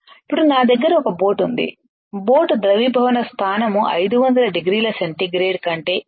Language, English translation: Telugu, Now I have a boat which it is melting point is way higher than 500 degree centigrade